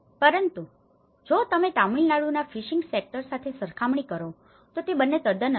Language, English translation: Gujarati, So, it was not if you compare in the fishing sector in Tamil Nadu it was very quiet different set up